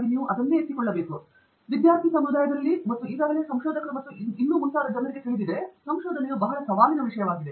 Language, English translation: Kannada, I think through this discussion also indicated that there is a general acknowledgment both in the student community and you know people who have already been researchers and so on that research is challenging